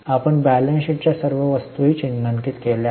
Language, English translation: Marathi, We have also marked all items of balance sheet